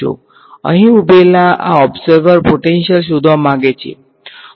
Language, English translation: Gujarati, This observer standing over here wants to find out the potential